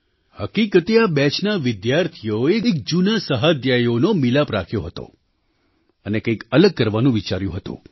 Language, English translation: Gujarati, Actually, students of this batch held an Alumni Meet and thought of doing something different